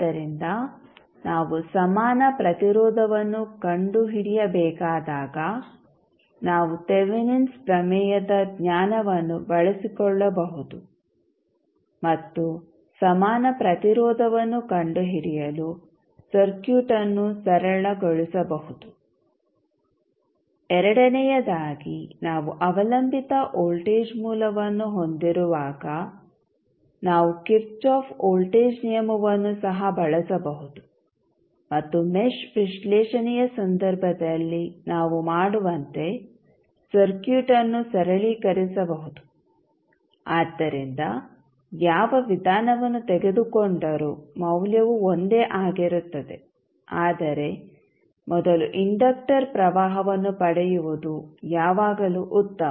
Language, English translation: Kannada, So, when we have to find out the equivalent resistance we can utilize over knowledge of Thevenins theorem and simplify the circuit to find out the equivalent resistance second when we have the dependent voltage source, we can also use the simply Kirchhoff voltage law and simplify the circuit as we do in case of mesh analysis so, whatever the approach we will take the value will remain same but, it is always better to obtain first the inductor current